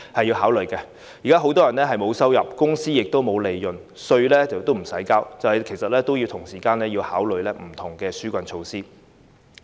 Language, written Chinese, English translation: Cantonese, 現在很多人沒有收入，公司亦沒有利潤，連稅也不用繳交，所以政府亦要同時考慮不同的紓困措施。, Many people now have no income whereas enterprises cannot make profits still less paying taxes . Therefore the Government must also consider rolling out different relief measures at the same time